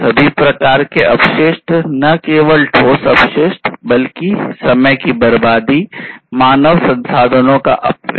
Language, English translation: Hindi, Wastes of all kinds not just the tangible wastes, but wastage of time waste, you know, wastage of human resources, and so on